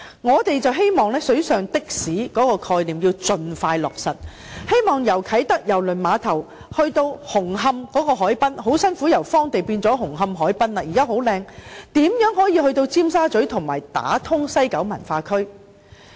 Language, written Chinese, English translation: Cantonese, 我們認為"水上的士"的概念應盡快落實，希望由啟德郵輪碼頭可前往紅磡海濱——該處幾經艱辛由荒地變成十分漂亮的紅磡海濱——如何可以從啟德郵輪碼頭前往尖沙咀，以及打通西九文化區？, We hold that the concept of water taxis should be implemented as soon as possible so that hopefully it will be possible to travel from Kai Tak Cruise Terminal to the waterfront of Hung Hom―which has been arduously transformed from a piece of wasteland into a gorgeous waterfront . How can one get to Tsim Sha Tsui from Kai Tak Cruise Terminal and how can it be linked up with the West Kowloon Cultural District?